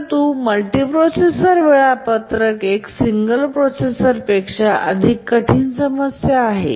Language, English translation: Marathi, But multiprocessor scheduling is a much more difficult problem than the single processor